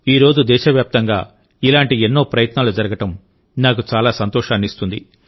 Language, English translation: Telugu, It gives me great pleasure to see that many such efforts are being made across the country today